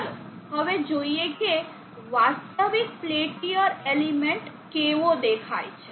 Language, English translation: Gujarati, Let us now see how our real peltier element looks like